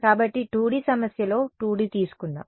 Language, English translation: Telugu, So, in a 2 D problem let us take 2 D